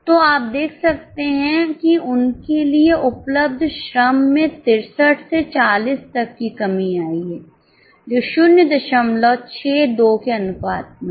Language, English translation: Hindi, So, you can see here there is a reduction in the labor available to them from 63 to 40 which is in the ratio of 0